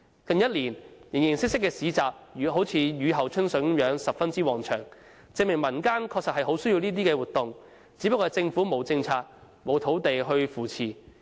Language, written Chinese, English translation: Cantonese, 近一年，形形色色的市集如雨後春筍，十分旺場，證明民間確實很需要這些活動，只是政府沒有政策和土地去扶持。, In the past year markets of different features have mushroomed and attracted many visitors . It shows that people are keenly in need of such activities only that the Government has not provided policy support or made available sites for the development of bazaars